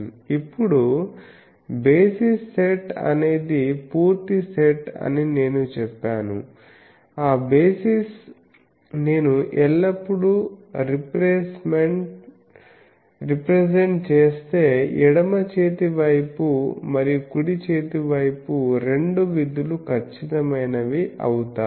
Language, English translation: Telugu, Now basis said is a complete set that in that basis if I represent always I can make it the two functions left hand side and right hand side get exact